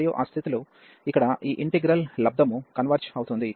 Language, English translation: Telugu, And that those conditions we have that this integral the product here converges